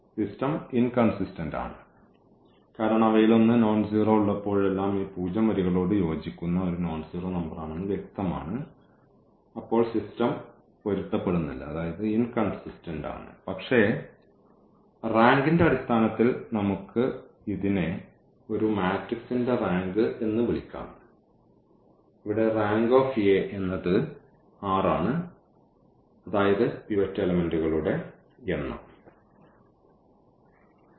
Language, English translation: Malayalam, The system is inconsistent, that is clear whenever we have one of them is a nonzero number here corresponding to this zero rows then the system is inconsistent, but in terms of the rank what we can call that the rank of A matrix which is this one here the rank of A matrix this one it is this r, the number of pivot elements